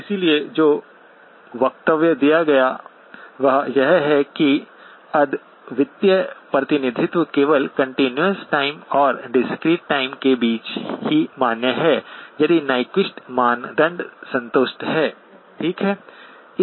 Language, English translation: Hindi, So therefore, the statement that was made is that the unique representation is valid only between the continuous time and discrete time only if the Nyquist criterion is satisfied, okay